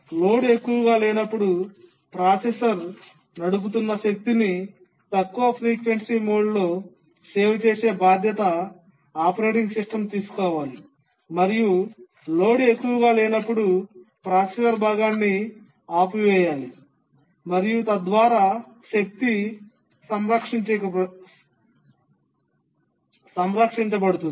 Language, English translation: Telugu, The operating system should take responsibility to save power that is run the processor in low frequency mode when the load is not high, switch up the processor part and so on when the load is not high and that's how conserve the power